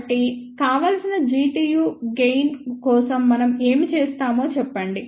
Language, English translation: Telugu, So, let us say for the desired G tu gain what we do